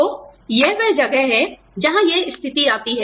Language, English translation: Hindi, So, that is where, this situation comes in